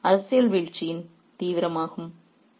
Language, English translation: Tamil, This was the nether of political downfall